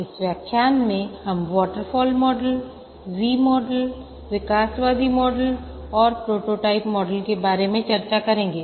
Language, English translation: Hindi, In this lecture, we will discuss about the waterfall model, V model, evolutionary model and the prototyping model